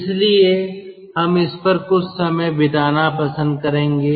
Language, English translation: Hindi, so we like to spend some times, some time, on this